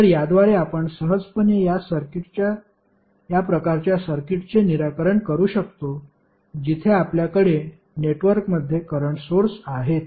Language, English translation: Marathi, So, with this you can easily solve these kind of circuits, where you have current sources connected in the network